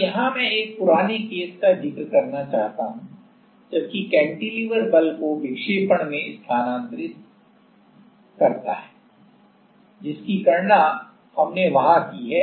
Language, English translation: Hindi, Now here I would like to point out one earlier case while the cantilever transfers force deflection we have calculated there you see